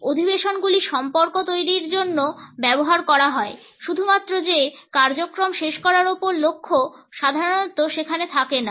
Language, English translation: Bengali, Meetings are used for building relationships the focus on finishing the agenda is not typically over there